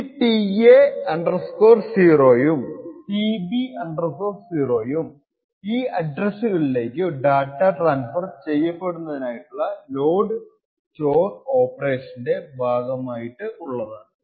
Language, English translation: Malayalam, Now tA 0 and tB 0 correspond to load and store operations to these addresses corresponding to the data being transmitted